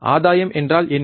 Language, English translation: Tamil, What is gain